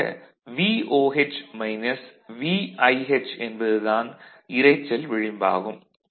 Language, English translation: Tamil, So, this VOH minus VIH is the noise the margin of noise that it can accommodate